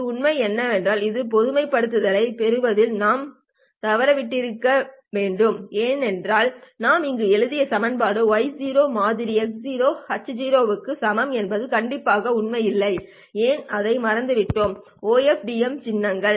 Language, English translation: Tamil, While this is true, what we must have missed in getting this generalization is that the equation that we wrote here which is y of 0 is equal to x of 0 into h of 0 is strictly speaking not true